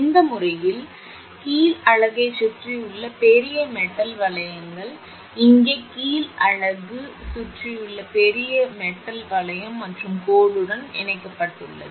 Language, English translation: Tamil, What is done actually, this method uses a large metal rings surrounding the bottom unit here it is the bottom unit here, a large metal ring surrounding what you call bottom unit and connected to the line